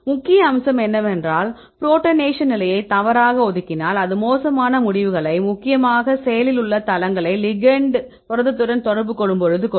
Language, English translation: Tamil, So, then the main aspect is if you incorrectly assign the protonation states, then it will give the poor results mainly the active sites when the ligand interacts with the protein